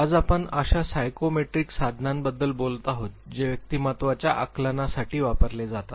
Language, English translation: Marathi, Today we would be talking about the psychometric tools that are used for assessment of personality